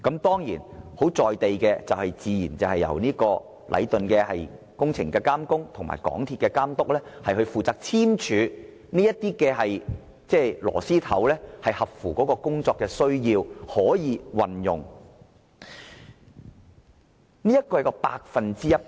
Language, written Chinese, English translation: Cantonese, 當然，最實在的做法，自然就是由禮頓建築有限公司監工和港鐵公司監督負責簽署，核實螺絲帽合乎工程需要及可以與鋼筋接駁。, Of course the most pragmatic approach is to require the Works Supervisor of the Leighton Contractor Asia Limited and the Inspector of Works of MTRCL to sign and confirm that the couplers are suitable for the construction works and connect well with steel bars